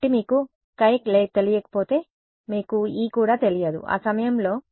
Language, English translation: Telugu, So, if you do not know chi you also do not know E at that point